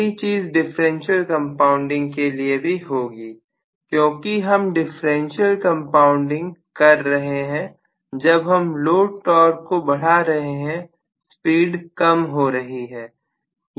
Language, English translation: Hindi, Same thing is true here with respect to differential compounding, because if I do differential compounding, the moment I increase the load torque, the speed falls